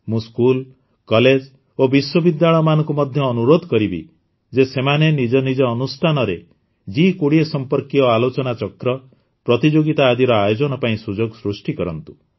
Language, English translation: Odia, I would also urge schools, colleges and universities to create opportunities for discussions, debates and competitions related to G20 in their respective places